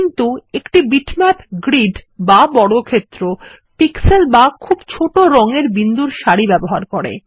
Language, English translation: Bengali, A bitmap uses pixels or a series of very small dots of colors in a grid or a square